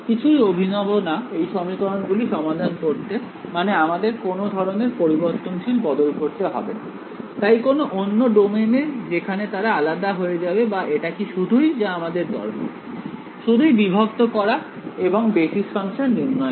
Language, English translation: Bengali, That is nothing very fancy involved in solving these equation like you do not have do some changes of variables, so some other domain where they become decoupled or at all that is not needed; just discretizing and choosing basis functions